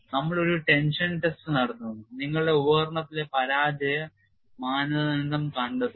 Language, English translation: Malayalam, We simply perform one tension test, find out the yield strain on that you device the failure criteria